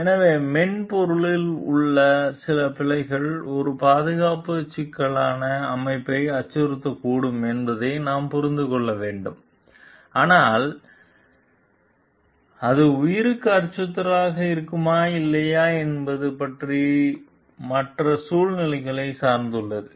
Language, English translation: Tamil, So, we have to understand like some bugs present in the software may threaten in a safety critical system, but whether it will threaten life or not it is dependent on others circumstances as well